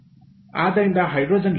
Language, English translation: Kannada, so hydrogen is available